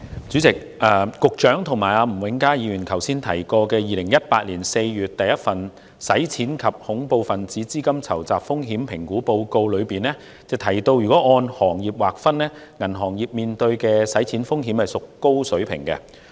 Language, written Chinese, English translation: Cantonese, 主席，局長和吳永嘉議員剛才提及2018年4月公布的第一份《香港的洗錢及恐怖分子資金籌集風險評估報告》，當中提到如果按行業劃分，銀行業面對的洗錢風險屬高水平。, President the Secretary and Mr Jimmy NG just now referred to the first Hong Kongs Money Laundering and Terrorist Financing Risk Assessment Report published in April 2018 in which it is mentioned that the banking sector faces high money laundering risk if categorized by industry